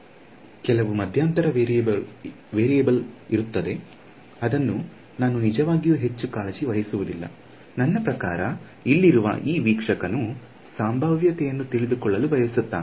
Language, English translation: Kannada, There will be some intermediate variable which I do not actually care so much about; I mean this observer over here just wants to know potential